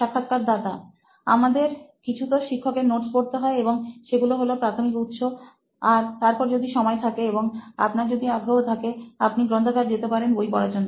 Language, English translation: Bengali, We have to go through some teacher's notes and those are the primary source and after that if you have time and if you are very much interested, you can go to the library and get these books